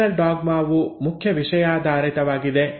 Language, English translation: Kannada, So, Central dogma is the main thematic